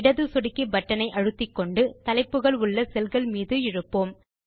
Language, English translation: Tamil, Now hold down the left mouse button and drag it along the cells containing the headings